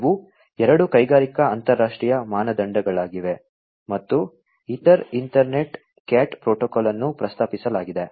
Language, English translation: Kannada, These are two industrial international standards and based on which the ether Ethernet CAT protocol was proposed